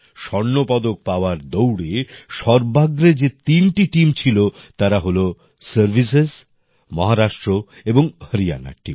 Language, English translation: Bengali, The three teams that were at the fore in winning the Gold Medal are Services team, Maharashtra and Haryana team